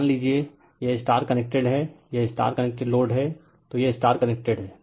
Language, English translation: Hindi, Suppose, this is your star connected, this is your star connected right load, so this is star connected